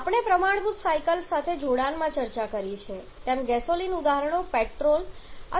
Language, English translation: Gujarati, As we have discussed in connection with our standard cycles the gasoline examples can be petrol or natural gases